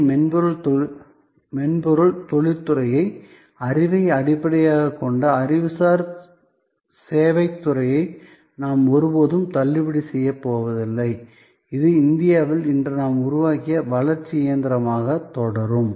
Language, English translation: Tamil, We are never going to discount the huge software industry, the huge knowledge based knowledge intensive service industry, that we have build up today in India, that will continue to be a growth engine